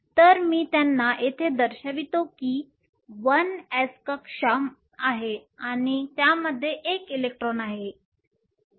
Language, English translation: Marathi, So, I will show them here which is the 1 s orbital and it has 1 electron